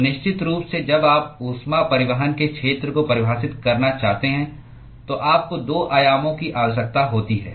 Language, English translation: Hindi, So, definitely when you want to define an area of heat transport, you need 2 dimensions